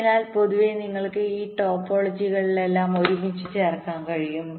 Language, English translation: Malayalam, so in general you can combine all these topologies together, like you can have the